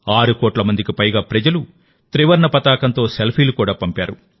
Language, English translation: Telugu, More than 6 crore people even sent selfies with the tricolor